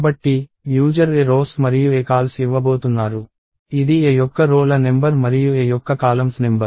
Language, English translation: Telugu, So, the user is going to give aRows and aCols, which is the number of rows of A and the number of columns of A